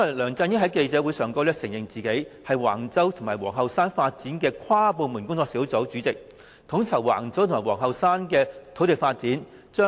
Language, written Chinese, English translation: Cantonese, 梁振英在記者會上承認出任橫洲及皇后山發展的跨部門工作小組主席，統籌橫洲及皇后山的土地發展。, LEUNG Chun - ying admitted at the press conference that he chaired an interdepartmental task force to coordinate land development at Wang Chau and Queens Hill Task Force